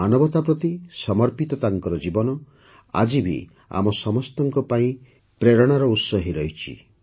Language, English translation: Odia, Her life dedicated to humanity is still inspiring all of us